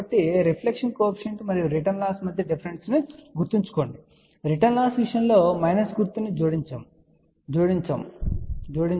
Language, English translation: Telugu, So, please remember the difference between reflection coefficient and return loss in case of return loss you add a minus